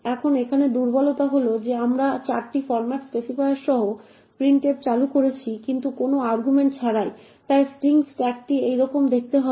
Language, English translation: Bengali, Now the vulnerability here is that we are invoking printf with 4 format specifiers but with no arguments at all, so the string…the stack let us say would look something like this